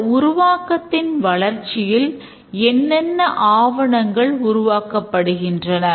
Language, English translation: Tamil, But as the development proceeds, what are the documents that are produced